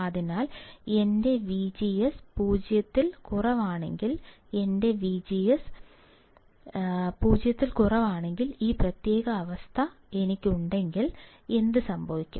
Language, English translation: Malayalam, So, if I have this particular condition where my V G S is less than 0, when my V G S is less than 0, what will happen